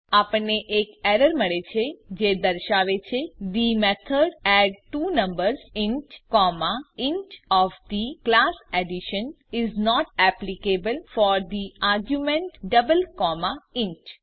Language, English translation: Gujarati, We get an error which states that , the method addTwoNumbers int comma int of the class addition is not applicable for the argument double comma int